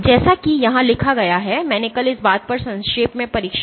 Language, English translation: Hindi, So, as written here and I briefly tested up or test upon this thing yesterday